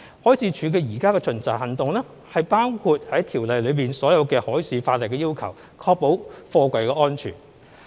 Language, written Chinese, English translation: Cantonese, 海事處現時的巡查行動包括《條例》下所有海事法例的要求，確保貨櫃安全。, At present the Marine Departments inspection covers all the requirements under all marine laws including the Ordinance in order to ensure the safety of containers